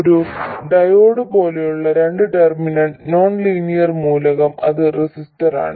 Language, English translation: Malayalam, A two terminal nonlinear element like a diode, it is a resistor